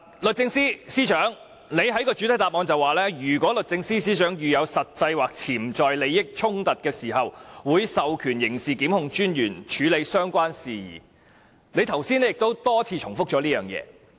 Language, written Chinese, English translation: Cantonese, 律政司司長在主體答覆中提到"如律政司司長遇有實際或潛在利益衝突的情況......會授權刑事檢控專員處理有關事宜"，她剛才亦多次重複這一點。, The Secretary for Justice stated in the main reply that in circumstances where there is any actual or potential conflict of interest on his or her part the Secretary for Justice will delegate to DPP the authority to handle the matter and she has just repeated this point for a few times